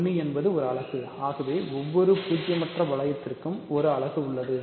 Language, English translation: Tamil, So, 1 is a unit, so, every non zero ring has a unit